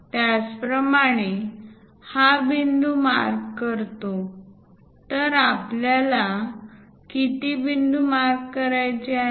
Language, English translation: Marathi, Similarly, this point mark, so how many we have to make